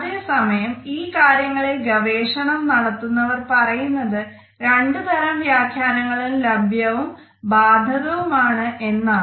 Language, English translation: Malayalam, At the same time researchers in this area tell us that both these interpretations are equally applicable and available